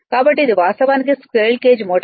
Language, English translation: Telugu, So, this is actually squirrel cage motor